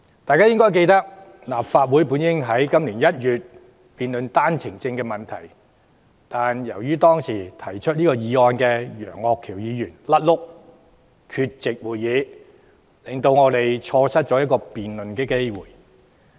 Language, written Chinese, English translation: Cantonese, 大家應該記得，立法會原應在今年1月辯論單程證的問題，但由於當時提出該項議案的楊岳橋議員"甩轆"缺席，令我們錯失辯論機會。, I suppose we all remember that this Council should have discussed the OWP issue in January this year . But as the Member who raised the motion back then Mr Alvin YEUNG was inadvertently absent from the meeting we have lost the chance to debate the topic